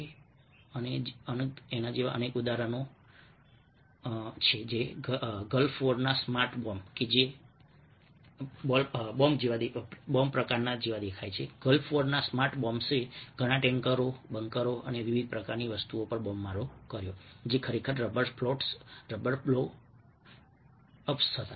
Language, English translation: Gujarati, ah, ah, the smart gulfs bombs of gulf war bombarded many tankers, bunkers and various kinds of things which were actually rather floats, ah, rather blow ups